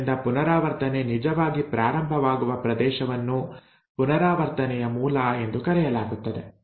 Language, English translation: Kannada, So that region where the replication actually starts is called as the origin of replication